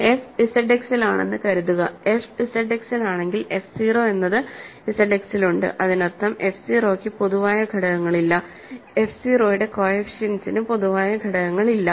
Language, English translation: Malayalam, So, suppose f is in Z X, if f is in Z X we know that f 0 is also in Z X that means, and f 0 has no common factors, coefficient of f 0 have no common factors